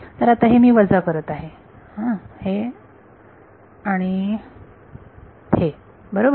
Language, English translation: Marathi, So, I am subtracting this and this right